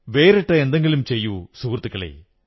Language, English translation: Malayalam, Do something out of the box, my Friends